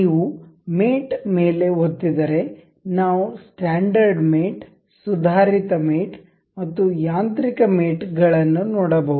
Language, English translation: Kannada, If you click on mate we can see standard mates advanced mates and mechanical mates